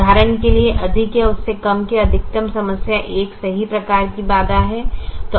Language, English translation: Hindi, for example, maximization problem: less than or equal is a correct type of constraint